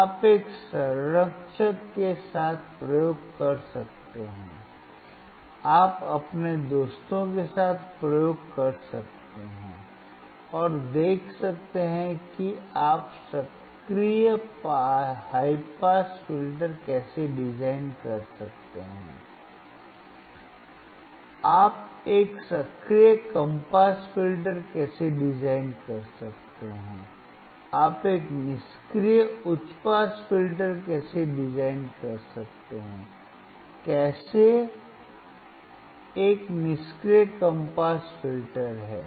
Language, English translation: Hindi, You can perform the experiment along with a mentor you can perform the experiment with your friends, and see how you can design active high pass filter, how you can design an active low pass filter, how you can design a passive high pass filter, how can is an a passive low pass filter